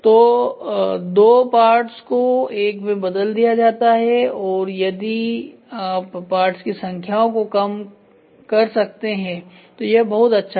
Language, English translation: Hindi, So, two parts is reduced into one and if you can reduce the number of parts it is well and good